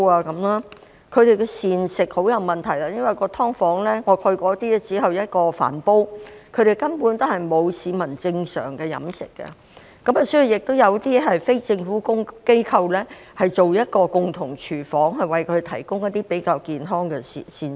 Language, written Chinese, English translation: Cantonese, 他們的膳食也有很大問題，因為我曾參觀一些"劏房"，住戶只有一個飯煲，他們根本沒有正常飲食，所以有些非政府機構提供共用廚房，讓他們得到比較健康的膳食。, Meal preparation is also a big problem to them . I have visited some SDUs where the residents have only one rice cooker and they can hardly have proper meals . In view of this some non - governmental organizations NGOs provide shared kitchens so that they can prepare healthier meals